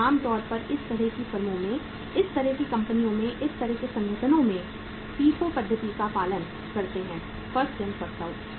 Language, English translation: Hindi, So normally in those kind of the firms, in those kind of the companies, in those kind of the organizations they follow the FIFO method, First In First Out